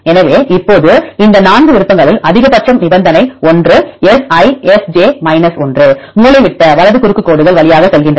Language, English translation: Tamil, So, now the condition is the maximum of these 4 options; one is Si 1 S j 1 diagonal right go through diagonal lines